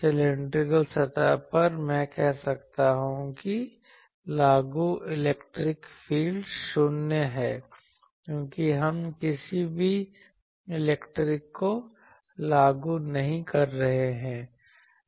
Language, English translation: Hindi, On the cylinder on the cylindrical surface I can say applied electric field is 0, because we are not applying any electric field there